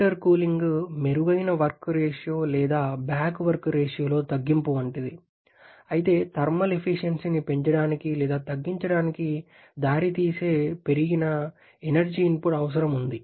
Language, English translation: Telugu, And similar to the intercooling better work ratio or reduction in the back work ratio but there is increased energy input requirement leading to increase or rather reduction in the thermal efficiency